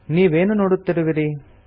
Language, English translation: Kannada, What do you see